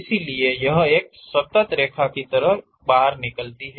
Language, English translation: Hindi, It comes out like a continuous line